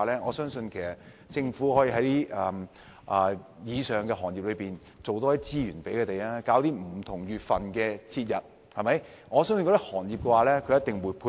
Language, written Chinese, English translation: Cantonese, 我相信政府可以為以上的行業多提供資源，在不同月份舉辦節日，這些行業一定會配合。, If the Government provides more resources for these industries to host different events in different months I believe that these industries will surely support